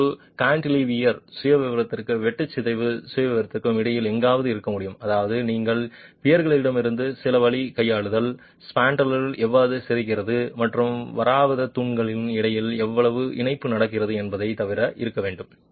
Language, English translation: Tamil, It can, it is somewhere between a cantilever profile and a shear deformation profile which means you must have apart from the peers some way of handling how much the spandrel is deforming and how much coupling is happening between the peers